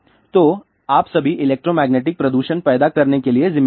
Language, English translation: Hindi, So, you all are responsible for creating electromagnetic pollution